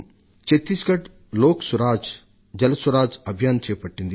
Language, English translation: Telugu, Chhattisgarh has started the 'LokSuraj, JalSuraj' campaign